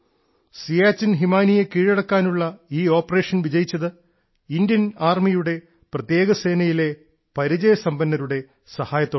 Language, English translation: Malayalam, This operation to conquer the Siachen Glacier has been successful because of the veterans of the special forces of the Indian Army